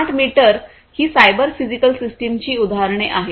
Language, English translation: Marathi, So, here are some features of cyber physical systems